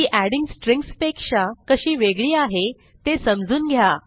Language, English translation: Marathi, Find out how is it different from adding strings